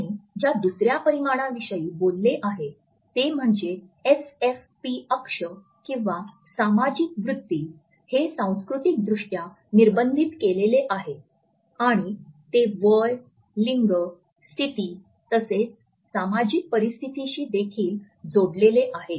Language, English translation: Marathi, The second dimension he has talked about is the SFP axis or the sociofugal or sociopetal orientation, it is also culturally coded and it is also linked with our age, gender, status as well as the social situation